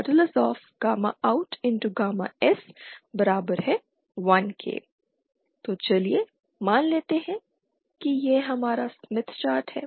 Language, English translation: Hindi, So let us suppose this is our smith chart ok